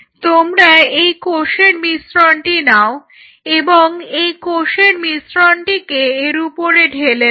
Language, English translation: Bengali, Now, what you do you take this mixture of cell and you roll the mixture of cell on top of it